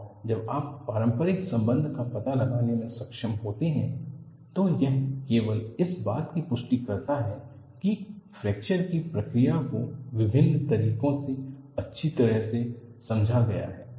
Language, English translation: Hindi, And when you are able to find out interrelationship, it only reinforces that, the process of fracture has been well understood through various methodologies